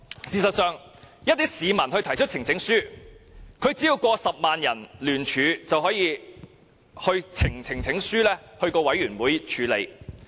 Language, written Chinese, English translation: Cantonese, 事實上，市民提出的呈請書只需超過10萬人聯署便可交由呈請書委員會處理。, In fact a petition presented by a member of the public will be considered by the Petitions Committee for a debate if it gets 100 000 signatures or more